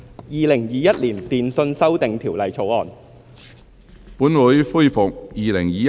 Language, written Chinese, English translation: Cantonese, 《2021年電訊條例草案》。, Telecommunications Amendment Bill 2021